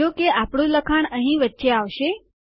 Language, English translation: Gujarati, And our text goes in between here